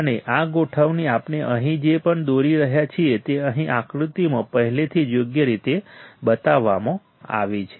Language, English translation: Gujarati, And this arrangement whatever we are drawing here it is already shown in the figure here correct